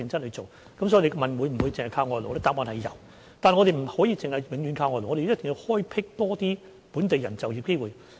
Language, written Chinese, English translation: Cantonese, 答案是有輸入外勞，但我們不能夠只是永遠依靠外勞，一定要開闢多些本地人就業機會。, Hence if you ask me whether we only rely on foreign labour the answer is that there is importation of foreign labour but we cannot merely rely on foreign labour . We have to explore more employment opportunities for local people